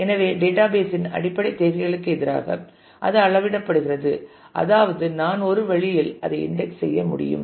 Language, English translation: Tamil, So, that will be that will be measured against the basic requirements of the database that is I should be able to index in a way